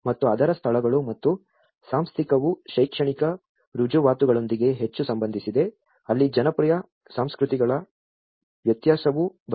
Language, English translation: Kannada, And its places and institutional is more to do with the academic credential that is where the difference of the popular cultures comes up